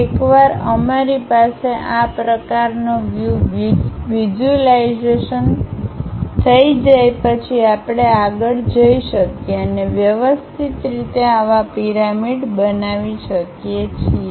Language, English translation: Gujarati, Once we have that kind of view visualization we can go ahead and systematically construct such pyramid